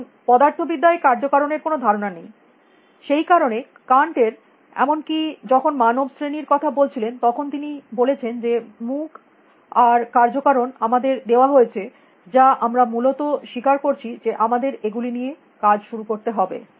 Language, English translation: Bengali, Now physics, of course, does not have a notion of causality; that is why Canter’s even when he was talking about human categories, he was saying that is face and causality are given to us that we accept we have to start working with those things